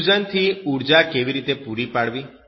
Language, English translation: Gujarati, How to provide energy from fusion